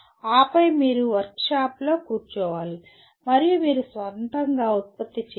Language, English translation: Telugu, And then you have to sit in the workshop and you have to produce your own